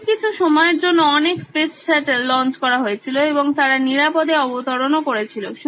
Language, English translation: Bengali, This is been on for a while, many many space shuttles have been launched and they have safely landed back